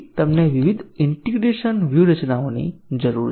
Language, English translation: Gujarati, So, we need different integration strategies